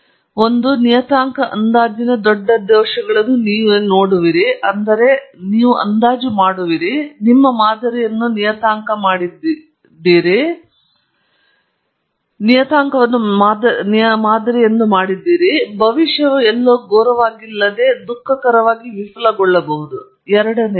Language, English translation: Kannada, One, that you would see the large errors in parameter estimates, which means you have over estimated, you have over parameterised your model; and two that the predictions will fail somewhere between miserably to not so miserably, but they will be poor on a fresh data set